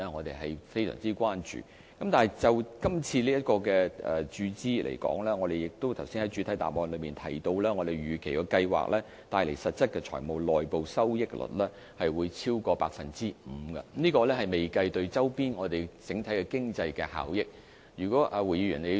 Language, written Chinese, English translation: Cantonese, 但是，就今次的注資方案來說，正如我剛才在主體答覆也提到，預期擴建及發展計劃帶來實質財務內部收益率會超過 5%， 而且對周邊整體經濟帶來的效益尚未計算在內。, However as far as this capital injection plan is concerned as I have mentioned in my main reply just now it is expected that the expansion and development plan will have a financial internal rate of return of over 5 % in real terms without taking into account the peripheral benefits that it will bring to the overall economy